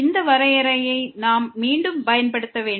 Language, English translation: Tamil, We have to use again this definition